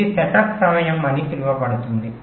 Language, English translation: Telugu, this is the so called setup time